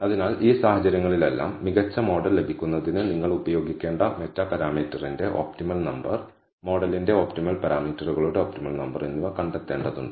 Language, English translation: Malayalam, So, in all of these this cases, you have to find out the optimal number of meta parameter, optimal number of parameters of the model that you need to use in order to obtain the best model